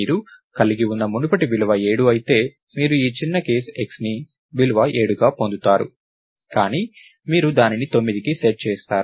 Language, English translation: Telugu, So, if the previous value that you contain is 7, you will get this small case x to be the value 7, but you set it to 9